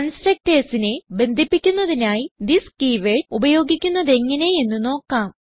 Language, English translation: Malayalam, Now we will see the use of this keywords for chaining of constructor